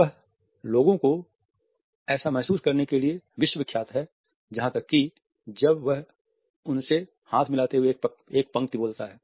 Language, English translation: Hindi, He is world renowned for making people feel like even when he speaks to them down a line as he shakes their hand